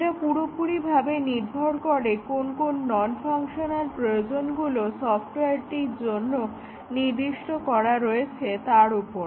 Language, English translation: Bengali, It depends on what are the non functional requirements specified for the software